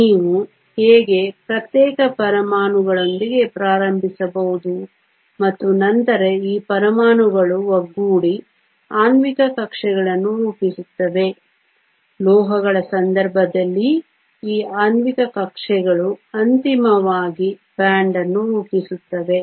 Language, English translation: Kannada, How you can start with individual atoms and then these atoms come together to form molecular orbitals, the case of metals you find that these molecular orbitals ultimately form a band